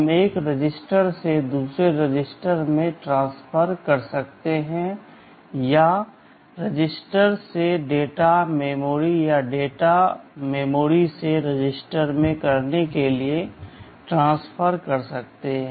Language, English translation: Hindi, We can transfer from one register to another or we can transfer from register to data memory or data memory to register